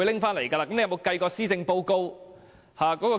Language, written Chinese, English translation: Cantonese, 他應該不會抽起施政報告辯論吧？, He would not have taken out the policy debate would he?